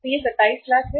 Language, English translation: Hindi, So this is the 27 lakhs